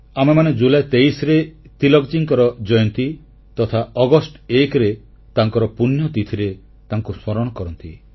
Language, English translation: Odia, We remember and pay our homage to Tilak ji on his birth anniversary on 23rd July and his death anniversary on 1st August